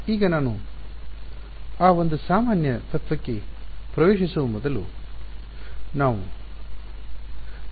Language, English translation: Kannada, Now before I get into that one general principle we will derive